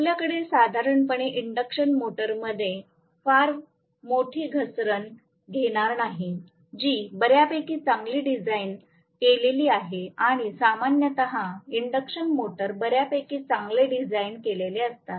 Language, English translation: Marathi, We are not going to have very large slip normally in an induction motor, which is fairly well design and generally, induction motors are fairly well design